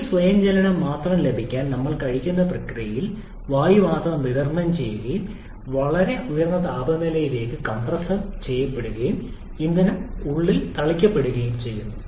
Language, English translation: Malayalam, In order to have this self ignition only, we supply only air during the intake process and compress that air to a very high temperature and then the fuel is sprayed inside